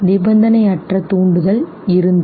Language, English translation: Tamil, The unconditioned stimulus was